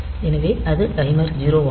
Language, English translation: Tamil, So, timer zero it is